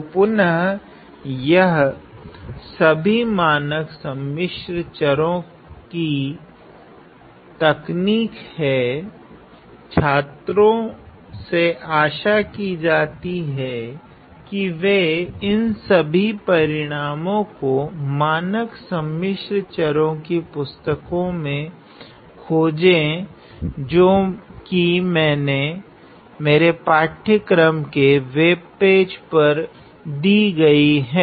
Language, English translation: Hindi, So, again these are all standard complex variables techniques, students are again asked to find these results in a standard complex variables textbook which is given in my course webpage